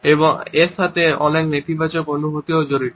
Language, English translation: Bengali, And this is also associated with many negative feelings